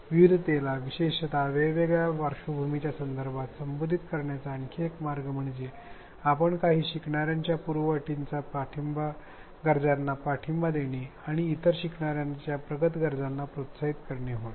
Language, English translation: Marathi, Another way to address diversity especially in terms of background is to make sure that we support the needs, the prerequisite needs of some learners as well as encourage the advanced needs of other learners